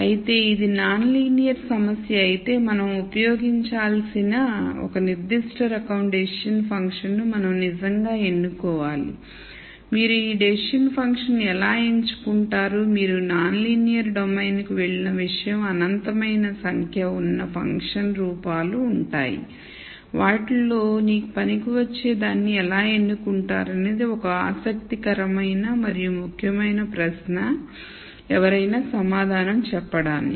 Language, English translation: Telugu, However, if it is a non linear problem then we really need to choose a particular type of decision function that we need to use and how do you choose this decision functions now the minute you go to the non linear domain there are infinite number of functional forms that you can choose how do you choose one that works for you it is an interesting and important question that one needs to answer